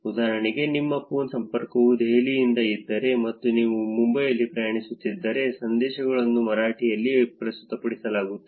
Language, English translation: Kannada, For example if your phone connection is from Delhi and if you are traveling in Mumbai the messages are presented in Marathi